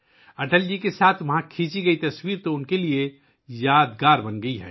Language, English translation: Urdu, The picture clicked there with Atal ji has become memorable for her